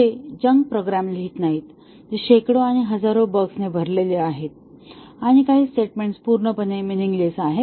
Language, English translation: Marathi, They do not write junk programs which are riddled with hundreds and thousands of bugs and some statements are totally meaningless